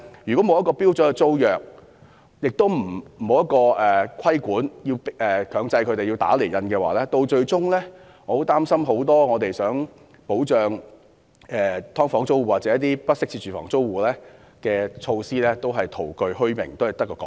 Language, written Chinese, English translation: Cantonese, 如果沒有標準租約，又沒有強制規定打釐印，我擔心擬保障"劏房"租戶或"不適切住房"租戶的措施，最終只會徒具虛名，淪為空談。, If neither a standard tenancy agreement nor mandatory stamping of tenancy agreements is put in place I worry that measures intended to provide protection to tenants of subdivided units or inadequate housing will fail to live up to their name and become no more than empty talk eventually